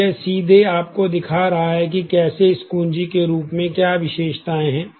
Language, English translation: Hindi, So, it is showing you directly as to how the keys of this, what are the attributes